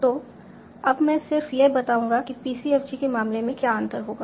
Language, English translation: Hindi, So, I'll just tell what is something, what will differ in the case of PCFG